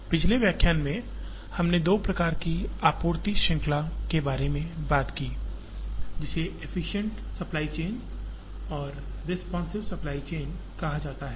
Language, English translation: Hindi, In the previous lecture, we introduced two types of supply chain, which are called the efficient supply chain and the responsive supply chain